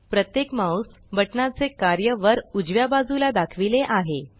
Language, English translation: Marathi, The role of each mouse button is shown on the top right hand side